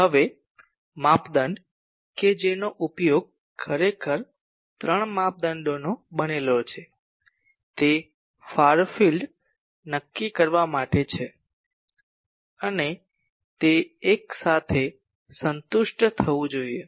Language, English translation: Gujarati, Now, the criteria that is used actually three criteria’s are there for determining far field and that should be satisfied simultaneously